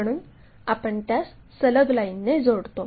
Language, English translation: Marathi, So, we join that by a continuous line